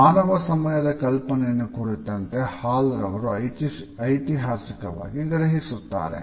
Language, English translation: Kannada, Hall has taken a historical perspective as far as the human concept of time is concerned